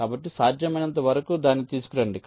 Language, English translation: Telugu, so bring it as much up as possible